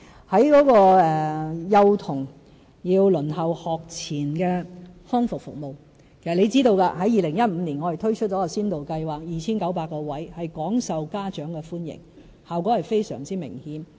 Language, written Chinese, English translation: Cantonese, 在幼童輪候學前康復服務方面，其實張議員應知道我們在2015年推出了一項先導計劃，提供 2,900 個名額，廣受家長歡迎，效果非常明顯。, In respect of the waiting time for pre - school rehabilitation services Dr CHEUNG should actually know that in 2015 we already launched a pilot scheme offering 2 900 service places . Well - received by parents the pilot scheme has achieved remarkable results